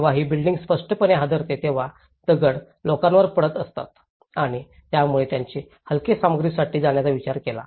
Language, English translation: Marathi, So, when the building shakes obviously, the stones used to fell down on the people, so that is where they thought of going for lightweight materials